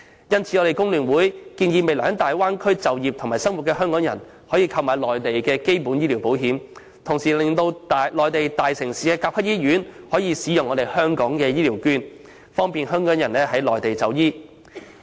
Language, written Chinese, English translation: Cantonese, 因此，工聯會建議讓未來在大灣區就業及生活的港人購買內地基本醫療保險，同時爭取內地大城市的甲級醫院接納香港的醫療券，方便港人在內地就醫。, Hence FTU proposes that Hong Kong people who work and live in the Bay Area in future should be allowed to take out basic medical insurance on the Mainland and the use of Hong Kong Health Care Vouchers should be extended to Grade - A hospitals in major Mainland cities so as to facilitate Hong Kong people to seek medical consultation on the Mainland